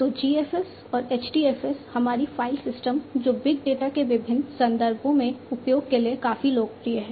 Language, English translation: Hindi, So, GFS and HDFS our file systems that are quite popular for use in different contexts of big data